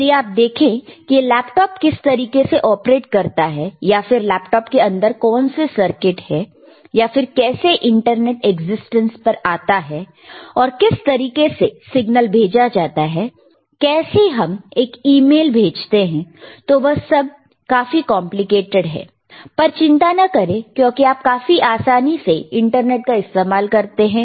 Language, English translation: Hindi, If you really see how laptop operates or how the what are the circuits within the laptop, or how the internet is you know comes into existence, and how the signals are sent, how you can send, an email, it is extremely complicated, super complicated, but do not you worry no because you can easily use internet